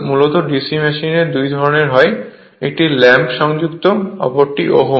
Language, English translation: Bengali, Basically DC machines are of two type; one is lap connected, another is om